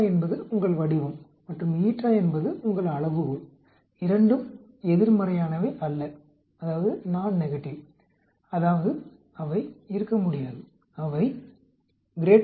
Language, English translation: Tamil, Beta is your shape and eta is your scale, both are non negative that means they cannot be, they are greater than 0